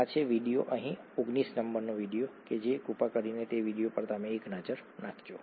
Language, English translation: Gujarati, This is, the video is number 19 here, please take a look at that video